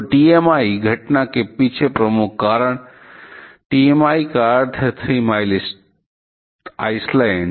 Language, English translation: Hindi, So, the principal reason behind the TMI incident; TMI means Three Mile Island